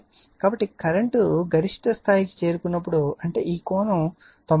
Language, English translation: Telugu, So, when current is when current is reaching its peak; that means, this angle is 90 degree